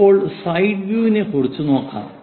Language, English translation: Malayalam, Now, side view